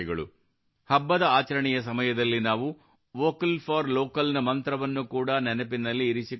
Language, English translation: Kannada, At the time of celebration, we also have to remember the mantra of Vocal for Local